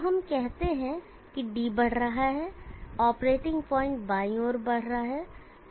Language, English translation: Hindi, So let us say D is increasing, the operating point will be moving to the left